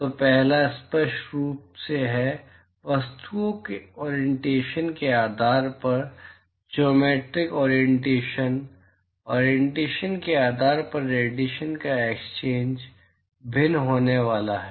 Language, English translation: Hindi, So, the first one is obviously, the geometric orientation depending upon the orientation of the objects the radiation exchange is going to be different, depending upon the orientation